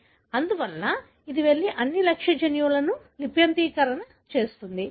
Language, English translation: Telugu, Therefore, it will go and transcribe all the target genes